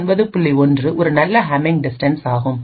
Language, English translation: Tamil, 1 is also a very good Hamming distance